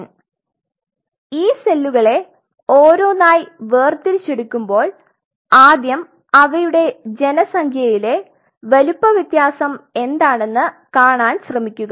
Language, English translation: Malayalam, So, each one of these cells first of all when you isolate the cells try to see when you dissociate them what are the size difference in the population